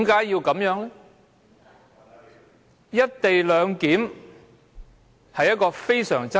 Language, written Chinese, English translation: Cantonese, "一地兩檢"方案極具爭議。, The co - location arrangement is highly contentious